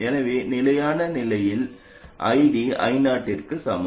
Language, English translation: Tamil, So in steady state, ID equals I 0